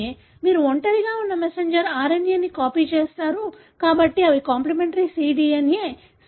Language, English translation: Telugu, You copy the messenger RNA which is single stranded, therefore they are complimentary cDNA